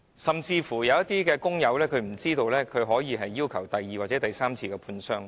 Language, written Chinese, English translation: Cantonese, 甚至有些工友不知道，他們可要求第二次甚至第三次判傷。, Some workers even do not know that they can ask for a second or even a third medical examination